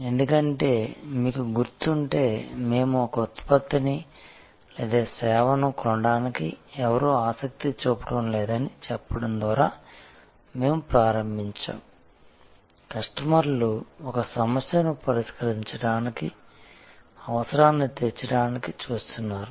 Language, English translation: Telugu, Because, if you remember, we had started by saying that nobody is interested to buy a product or service, customers are looking for meeting a need, resolving a problem